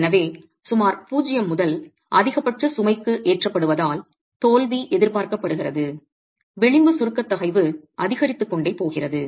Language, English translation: Tamil, So, as the wall is being loaded from zero to maximum load at which failure is expected, the edge compressive stress is going to keep increasing